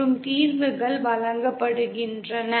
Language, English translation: Tamil, And the solutions are given as